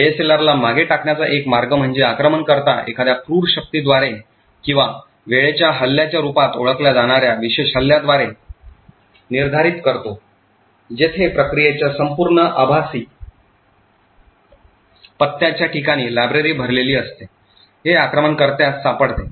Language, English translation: Marathi, One way of bypassing ASLR is if the attacker determines either by brute force or by special attacks known as timing attacks, where the attacker finds out where in the entire virtual address space of the process is the library actually loaded